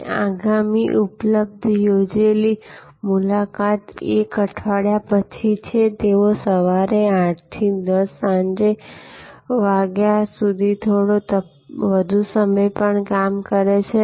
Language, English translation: Gujarati, And the next available appointment is 1 week later; they also operate from 8 am to 10 pm a little longer in the evening